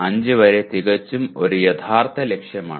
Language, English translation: Malayalam, 5 is a quite a realistic target